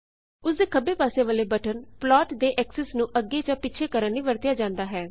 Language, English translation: Punjabi, The button to the left of it can be used to move the axes of the plot